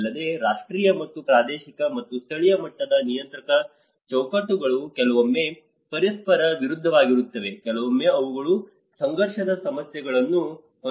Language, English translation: Kannada, Also, the national and regional and local level regulatory frameworks sometimes they contradict with each other, sometimes they only have conflicting issues